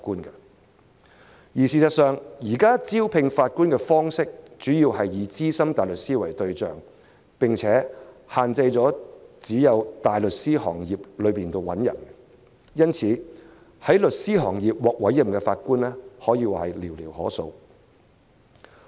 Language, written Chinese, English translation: Cantonese, 但事實上，現時招聘法官的方式，主要以資深大律師為對象，並且只限在大律師行業內找人，而在事務律師行業獲委任的法官可謂寥寥可數。, As a matter of fact at present Judges are mainly recruited among senior barristers and the candidates are chosen from major law firms while few solicitors are appointed as Judges